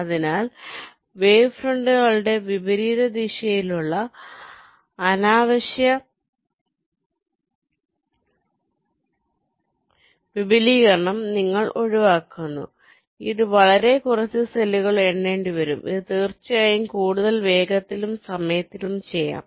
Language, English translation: Malayalam, so you are avoiding unnecessary expansion of the wave fronts in the reverse direction, which will obviously require much less number of cells to be numbered, which of course will result in much faster and times